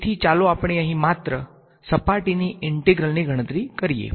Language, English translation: Gujarati, So, let us just do the calculation of the surface integral over here